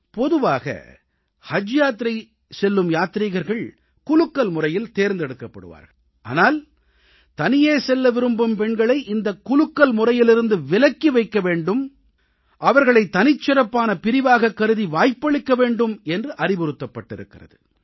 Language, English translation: Tamil, Usually there is a lottery system for selection of Haj pilgrims but I would like that single women pilgrims should be excluded from this lottery system and they should be given a chance as a special category